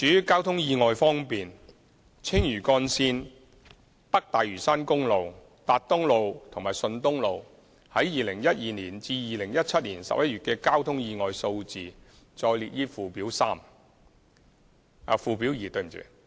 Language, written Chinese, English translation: Cantonese, 交通意外方面，青嶼幹線、北大嶼山公路、達東路和順東路在2012年至2017年11月的交通意外數字載列於附表二。, As regards traffic accidents the concerned figures for the Lantau Link North Lantau Highway Tat Tung Road and Shun Tung Road between 2012 and November 2017 are set out at Annex 2